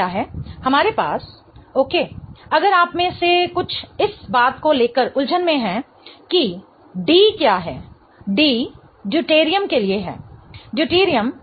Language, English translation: Hindi, We have, okay, if some of you are confused about what that D is, D stands for Deuterium